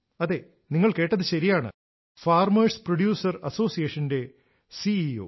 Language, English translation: Malayalam, He is also the CEO of a farmer producer organization